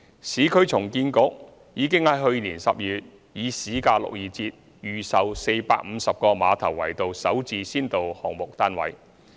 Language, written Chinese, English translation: Cantonese, 市區重建局已於去年12月以市價62折預售450個馬頭圍道"首置"先導項目單位。, In December last year the Urban Renewal Authority put up 450 flats for pre - sale at a 38 % discount on the market rate at Ma Tau Wai Road under an SH pilot project